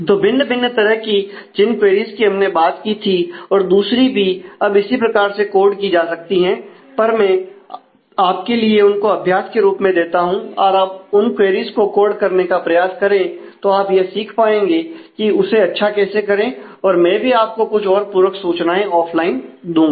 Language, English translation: Hindi, So, various queries that we had talked of and others can be can now be coded on this, but I leave that as an exercise to you please try out coding those queries and you will be able to learn in terms of how to do that well and I will try to also supply some supplementary information on this offline